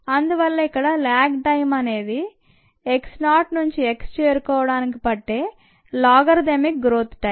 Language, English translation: Telugu, this is the time for logarithmic growth, starting from x zero to reach x